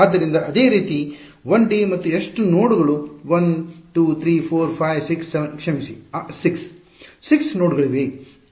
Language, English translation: Kannada, So, similarly in the case of 1 D and how many nodes are a 1 2 3 4 5 6 7 sorry 6; 6 nodes are there